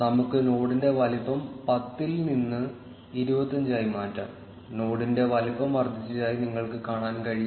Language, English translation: Malayalam, Let us change the size of the node from 10 to 25; you can see that the size of the node has increased